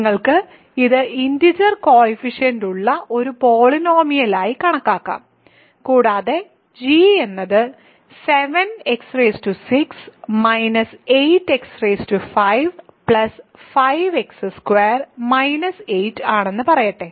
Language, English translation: Malayalam, So, you can think of this as a polynomial with integer coefficients and let us say g is 7 x power 6 minus 8 x power 5 plus 5 x squared minus 8 ok